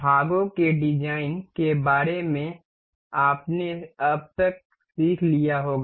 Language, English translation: Hindi, You may have learned up till now regarding designing of the parts